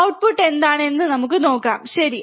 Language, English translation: Malayalam, What is output let us see, alright